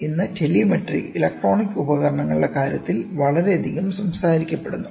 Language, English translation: Malayalam, Today telemetry is talked about very much in terms of electronic devices, ok